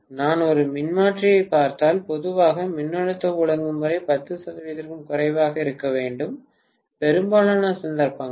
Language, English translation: Tamil, If I look at a transformer, normally the voltage regulation has to be less than 10 percent, in most of the cases